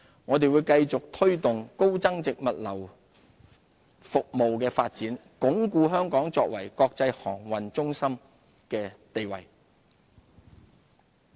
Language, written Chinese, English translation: Cantonese, 我們會繼續推動高增值物流服務的發展，鞏固香港作為國際航運中心的地位。, We will continue to promote the development of high value - added logistics services so as to strengthen Hong Kongs position as an international aviation and maritime centre